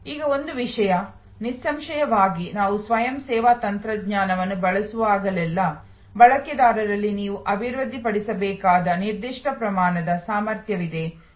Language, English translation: Kannada, Now, one of the things; obviously, we see immediately that whenever we are using self service technology, there is a certain amount of competency that you need to develop among the users